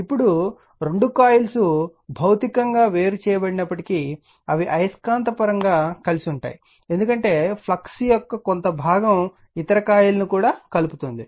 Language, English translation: Telugu, Now, although the 2 coils are physically separated they are said to be magnetically coupled right because , flux part of the flux is linking also the other coil